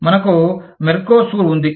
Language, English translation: Telugu, we have Mercosur